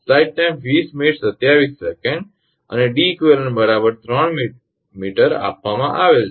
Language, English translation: Gujarati, And Deq is given 3 meter Deq is given